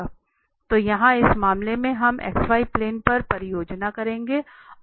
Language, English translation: Hindi, So here in this case we will project on the x y plane